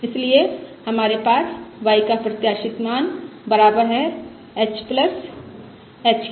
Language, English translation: Hindi, Therefore we have expected value of y equals h